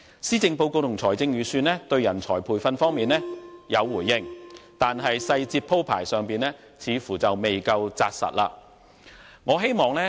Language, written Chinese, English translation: Cantonese, 施政報告和預算案對人才培訓方面有回應，但細節鋪排上似乎未夠扎實。, Both the Policy Address and the Budget have responded to the request for talent training but the details provided are far from concrete